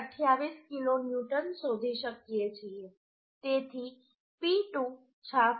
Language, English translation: Gujarati, 28 kilonewton so P2 will be 66